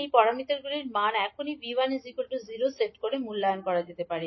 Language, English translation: Bengali, The values of these parameters can be evaluated by now setting V1 equal to 0